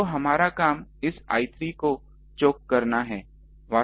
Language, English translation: Hindi, So, our job is to choke this I 3